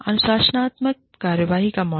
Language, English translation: Hindi, Model of disciplinary action